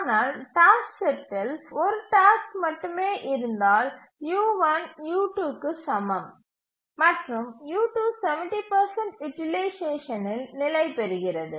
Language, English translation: Tamil, But of course if the task set contains only one task then u1 is equal to u2 and u2 stabilizes at around 70% utilization